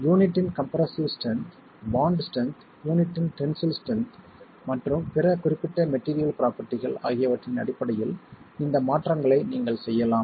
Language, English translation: Tamil, You can have changes to this based on the compressor strength of the unit, the bond strength, the tensile strength of the unit and all other specific material properties will contribute to changing this shape as well